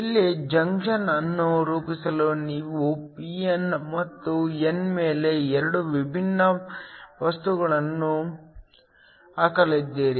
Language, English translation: Kannada, Here, you are going to put 2 different materials over p n and n in order to form a junction